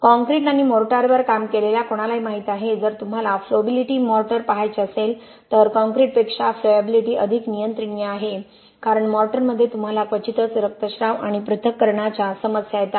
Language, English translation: Marathi, Anybody who has worked with concrete and mortar know if you want to look at flowability mortar is much more controllable as far as flowability is concerned than concrete because in mortar you rarely have the problems of bleeding and segregation